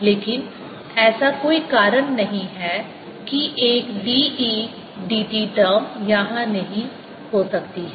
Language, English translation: Hindi, but there is no reason why a d, e, d t term cannot be here